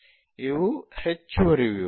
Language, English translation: Kannada, These are additional details